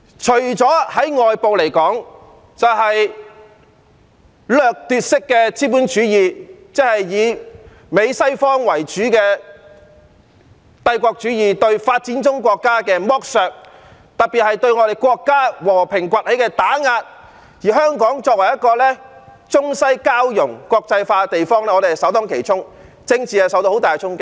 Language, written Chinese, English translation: Cantonese, 在對外方面來說，就是掠奪式的資本主義，即以美國為首的帝國主義對發展中國家的剝削，特別是對我們國家和平崛起的打壓，而香港作為一個中西交融、國際化的地方，我們是首當其衝，政治受到很大的衝擊。, Externally it is plagued by predatory capitalism meaning the imperialist exploitation of developing countries under the lead of the United States and one notable example is its suppression of our countrys peaceful rise . Hong Kong as an international city where the Chinese and Western cultures meet is the first to bear the brunt and has sustained a severe blow at the political level